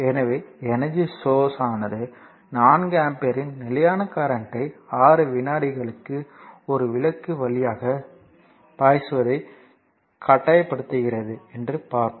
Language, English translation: Tamil, So, and another thing is and a energy source your forces a constant current of 4 ampere for 6 second to flow through a lamp